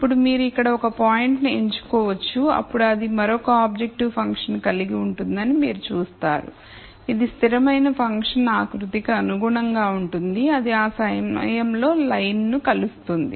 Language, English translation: Telugu, Now you could pick a point here then you would see that it would have another objective function value which would be corresponding to the constant function contour that intersects the line at that point